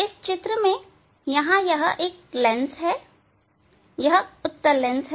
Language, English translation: Hindi, Now, this is the; this is the lens convex lens